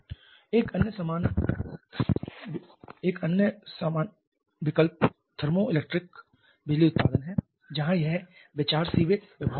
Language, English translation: Hindi, Another quite similar option is the thermoelectric power generation where the idea is based upon the Seebeck effect